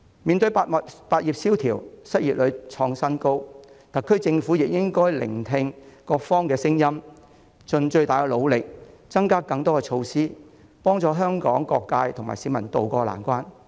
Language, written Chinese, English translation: Cantonese, 面對百業蕭條、失業率創新高，特區政府亦應該聆聽各方的聲音，盡最大努力推出更多措施，協助香港各界及市民渡過難關。, In view of the business doldrums experienced by many trades and a record high unemployment rate the SAR Government should also listen to voices from all sides spare no effort in launching more measures and help various sectors and members of the public in Hong Kong weather the storm